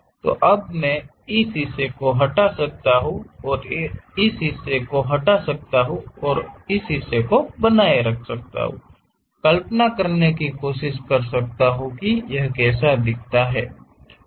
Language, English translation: Hindi, So, now I can remove this part and remove this part and retain this part, try to visualize how it looks like